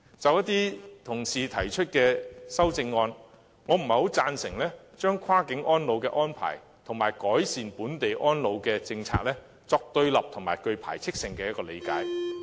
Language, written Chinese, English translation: Cantonese, 就一些同事提出的修正案，我不贊成將跨境安老的安排及改善本地安老的政策，作對立及具排斥性的理解。, On some of the amendments raised by our colleagues I do not see eye to eye with the juxtaposition of policies on cross - boundary elderly care arrangements and those on improving local elderly care as binary oppositions